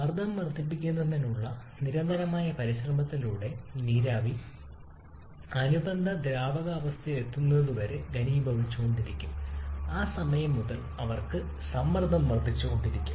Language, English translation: Malayalam, And with continuous effort to increase the pressure will keep on condensing of vapour till it reaches a corresponding saturated liquid state and from that point onwards they can get the pressure keep on increasing